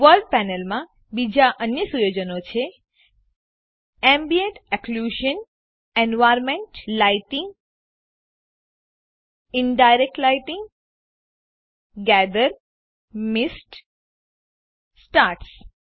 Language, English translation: Gujarati, Other settings in the World panel are Ambient Occlusion, environment lighting, Indirect lighting, Gather, Mist, Stars